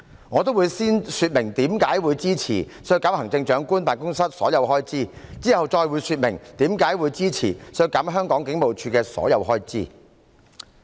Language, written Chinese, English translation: Cantonese, 我會先說明為何支持削減特首辦所有開支，其後再說明為何支持削減香港警務處的所有開支。, I will first explain why I support cutting all the expenditure of the Chief Executives Office and then explain why I support cutting all that of HKPF